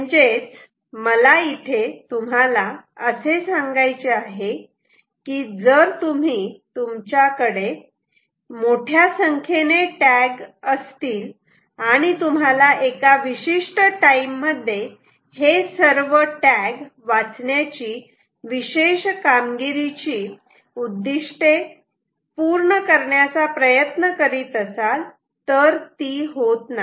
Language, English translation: Marathi, so that s what i was trying to say, which means, if you have a very large tag population, if you have a very large tag population, um, and you are trying to meet certain performance objectives of reading all tags within a given time that is assigned to you, ah, it is not going to